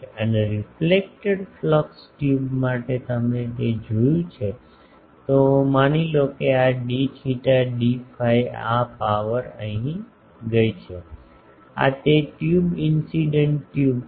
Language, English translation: Gujarati, And, for the reflected flux tube you see that so, suppose this d theta d phi this power has gone here, this is that tube incident tube